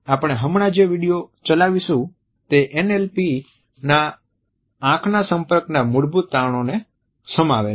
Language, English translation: Gujarati, The video which we would play right now encapsulates the basic findings of NLP as far as eye contact is concerned